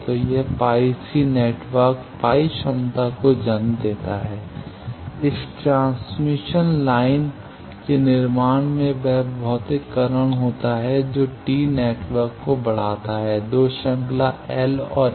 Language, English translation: Hindi, So, that gives rise to a pi c network pi capacity of network then if you are constructing this transmission line the materialization that give raise to a t network which 2 series L and one C